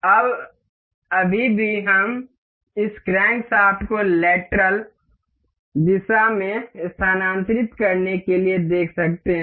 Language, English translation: Hindi, Now, still we can see this crankshaft to move in the lateral direction